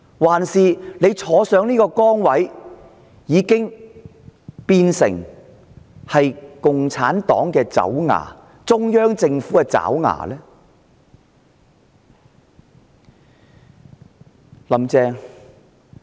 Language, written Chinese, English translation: Cantonese, 還是她坐上這個崗位後，便變成共產黨的爪牙、中央政府的爪牙？, Or is it that she has become the henchman of the Communist Party and the Central Government after assuming the post of Chief Executive?